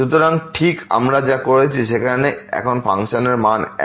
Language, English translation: Bengali, So, doing exactly what we have done there now the function is this one